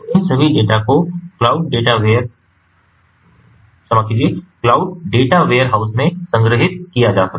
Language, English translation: Hindi, so all these data can be stored in the cloud data ware house also from this particular end